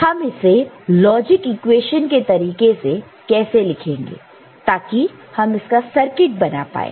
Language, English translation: Hindi, So, how we write it in the form of a logic equation to realize the circuit